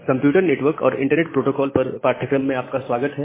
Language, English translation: Hindi, Welcome back to the course on Computer Network and Internet Protocol